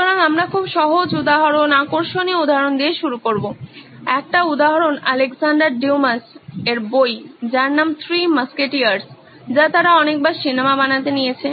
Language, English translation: Bengali, So we will start with very very simple example, an interesting one, an example from Alexandra Dumas book called ‘Three Musketeers’ which is so many times they’ve taken movies